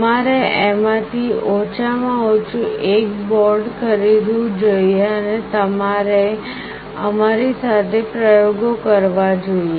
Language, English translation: Gujarati, You should go ahead and purchase at least one of these boards and you can do the experiments along with us